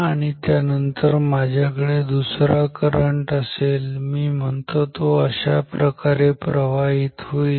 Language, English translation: Marathi, And then let me have another current, which call it I 2 which is flowing like this ok